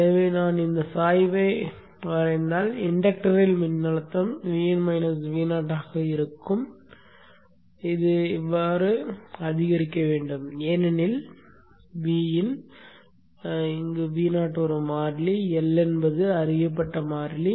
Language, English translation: Tamil, So if I draw this slope during the time when the voltage across the inductor is V in minus V 0 it should increase like this because V N is a constant, V N is a constant, L is a known constant